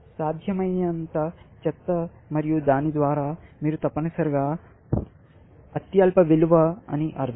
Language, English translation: Telugu, Worst possible one and by that, you mean the lowest value essentially